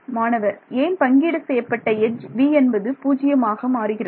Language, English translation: Tamil, Why could the shared edge v will become 0